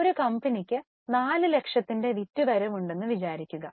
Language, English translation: Malayalam, Suppose a company has, let us say, a turnover of 4 lakhs and has daters of 40,000